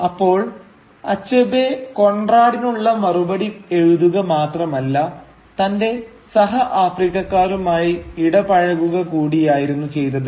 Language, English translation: Malayalam, So Achebe was not merely writing back to Conrad, he was also writing to engage with his fellow Africans